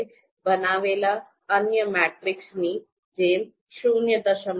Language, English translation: Gujarati, Just like the other matrices that we have created 0